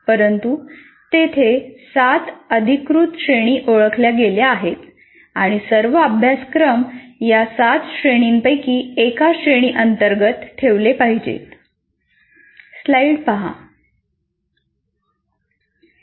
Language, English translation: Marathi, These are the officially the categories that are identified, the seven categories and all courses will have to be put under one of these seven categories